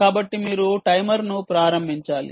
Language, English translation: Telugu, and why do you need the timer